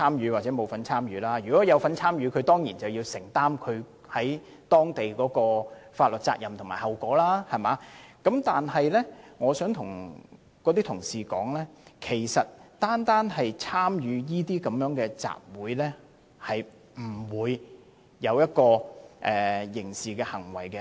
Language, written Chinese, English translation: Cantonese, 如果該名居民有參與過激行為，當然要按當地法律承擔責任和後果，但如果該名居民只是參與集會，便不會被視為作出刑事行為。, If the resident took part in the extreme acts I think he certainly has to bear liability according to the local laws . However if he merely attended the assembly he would not be regarded as having committed a criminal act